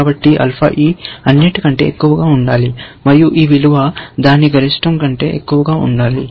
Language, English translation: Telugu, So, alpha must be higher than all these ones, and this value must be higher than that max of that